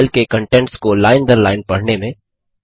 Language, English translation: Hindi, Read the contents of the file line by line